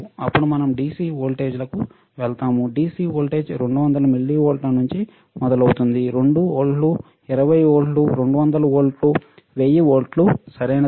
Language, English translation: Telugu, Then we go to DC voltages, DC voltage starts from 200 millivolts 2 volts 20 volts 200 volts one 1000 volts, right